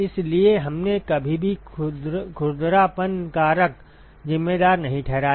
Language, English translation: Hindi, So, we never accounted for the roughness factor